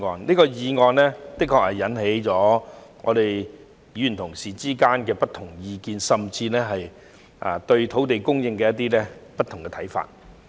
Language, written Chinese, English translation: Cantonese, 這項議案的確引起了議員的不同意見，甚至對土地供應的不同看法。, This motion has indeed invited diverse views from Members and attracted different viewpoints on land supply